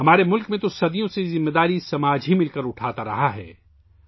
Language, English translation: Urdu, In our country, for centuries, this responsibility has been taken by the society together